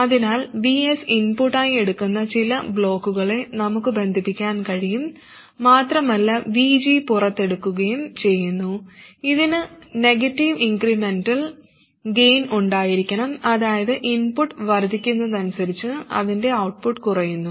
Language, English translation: Malayalam, So we can connect some block that takes VS as input and puts out VG and it must have a negative incremental gain meaning its output reduces as the input increases